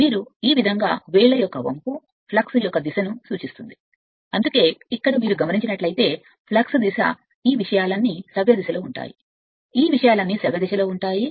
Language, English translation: Telugu, And if you curl the finger like this will be the direction of the flux that is why flux direction if you see here all this things are clockwise all this things are clockwise